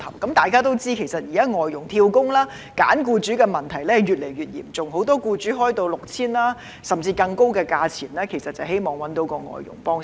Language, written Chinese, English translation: Cantonese, 大家也知道，現時外傭"跳工"及挑選僱主的問題越來越嚴重，很多僱主以 6,000 元甚至更高的價錢來招聘外傭，無非是希望覓得外傭幫忙。, As Members also know the current problems of job - hopping and picking employers by FDHs are increasingly serious and many employers recruit FDHs at a cost of 6,000 or even higher in the hope of seeking help from FDHs